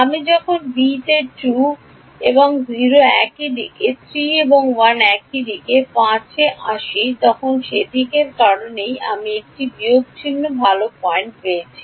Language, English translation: Bengali, When I come to element b 2 and 0 same direction, 3 and 1 same direction, 5 opposite direction that is why that is why I got a minus sign good point